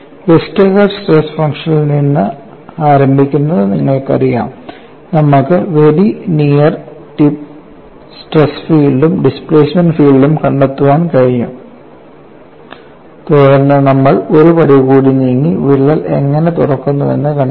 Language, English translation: Malayalam, So, it is a very useful information; you know starting from Westergaard stress function, we have been able to find out the very near strip stress field as well as the displacement field, then we moved one step further and found out how the crack opens up